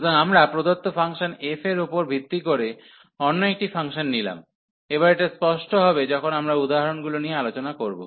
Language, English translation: Bengali, So, we take another function based on the given function f this will be rather clear, when we discuss the examples